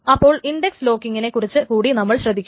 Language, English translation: Malayalam, So, the index locking must also be taken care of